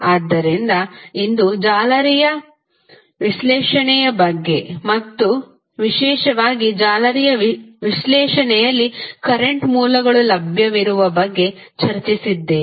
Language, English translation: Kannada, So, today we discussed about the mesh analysis and particularly the case where current sources available in the mesh analysis